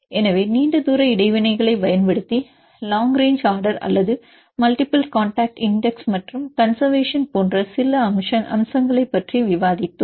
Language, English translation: Tamil, So, we discussed about some features using long range interactions for example, long range order or multiple contact index and conservation